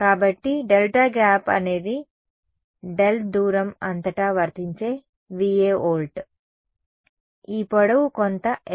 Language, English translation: Telugu, So, delta gap was Va volts applied across the distance of delta right, this length was some capital L right